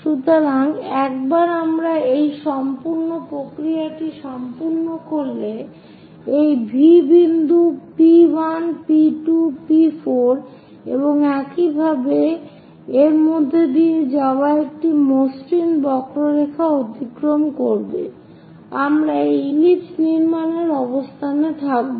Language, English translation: Bengali, So, once we are done with this entire procedure, a smooth curve passing through this V point P 1 P 2 P 4 and so on, we will be in a position to construct an ellipse